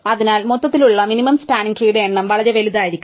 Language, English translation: Malayalam, So, overall the number of possible minimum cost spanning tree could be very large